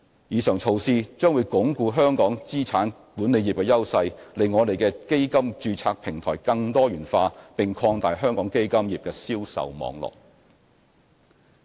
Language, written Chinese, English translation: Cantonese, 以上措施將鞏固香港資產管理業的優勢、令我們的基金註冊平台更多元化，並擴大香港基金業的銷售網絡。, These measures will help to enhance the competitive edge of the asset management industry in Hong Kong diversify our fund domiciliation platform and expand the fund distribution network of our fund industry